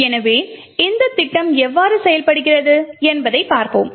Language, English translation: Tamil, So let us see how this particular scheme works